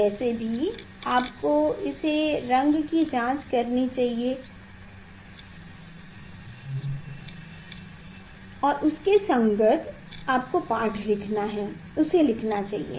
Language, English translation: Hindi, anyway, you should check it the color and write and corresponding reading you take